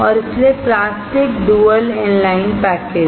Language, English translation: Hindi, And hence plastic dual inline package